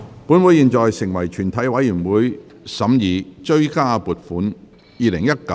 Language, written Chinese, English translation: Cantonese, 本會現在成為全體委員會，審議《追加撥款條例草案》。, This Council now becomes committee of the whole Council to consider the Supplementary Appropriation 2019 - 2020 Bill